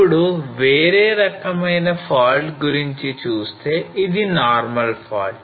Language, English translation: Telugu, Now coming to the another type of fault that is a normal fault